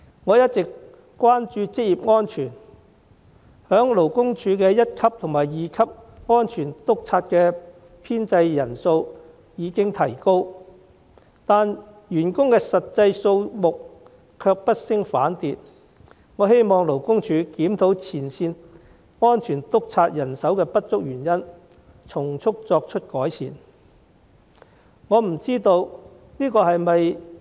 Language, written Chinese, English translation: Cantonese, 我一直關注職業安全，勞工處一級和二級職業安全主任的編制人數已經提高，但員工的實際數目卻不升反跌，我希望勞工處檢討前線職業安全主任人手不足的原因，從速作出改善。, I have been concerned about occupational safety all along . While the establishment of Occupational Safety Officers I and II of the Labour Department has been expanded the actual number of staff members has instead dropped . I hope the Labour Department will conduct a review on the reasons for the insufficient manpower of frontline Occupational Safety Officers and make improvement expeditiously